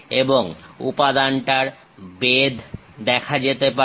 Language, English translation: Bengali, And the thickness of that material can be clearly seen